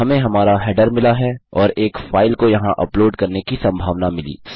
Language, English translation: Hindi, Weve got our header and possibility to upload a file here